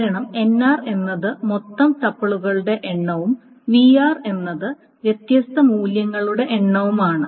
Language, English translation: Malayalam, Because NR is the total number of tuples and VR is the number of distinct values